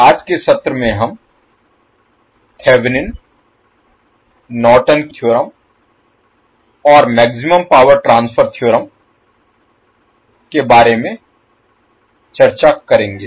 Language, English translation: Hindi, So in today’s session we will discuss about Thevenin’s, Nortons theorem and Maximum power transfer theorem